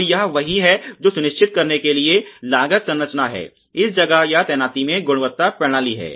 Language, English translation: Hindi, So, this is what is the cost structure for ensuring that, there is quality system in place or deployment